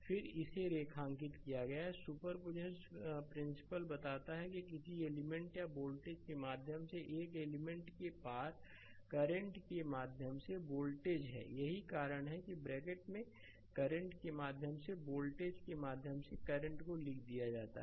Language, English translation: Hindi, So, the then I have underlined it, the superposition principle states that the current through or voltage across current through an element or voltage across an element, that is why in the bracket, I have write down I current through or voltage across right